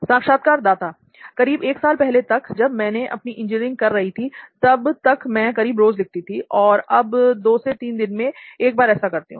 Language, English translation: Hindi, Maybe a year back, till I did my engineering it used to be almost every day and now maybe it is once every two to three days